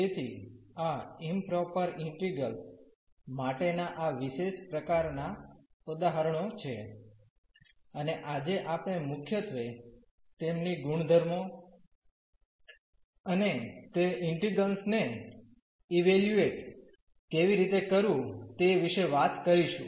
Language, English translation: Gujarati, So, these are the special type of examples for improper integrals and today we will be talking about mainly their properties and how to evaluate those integrals